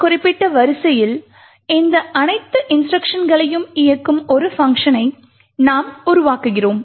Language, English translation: Tamil, We build a function that executes all of these instructions in this particular sequence